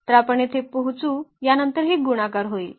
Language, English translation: Marathi, So, we will get here then this will be multiplied to this and so on